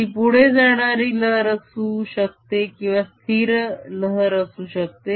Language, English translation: Marathi, if travelling, it could be a stationary wave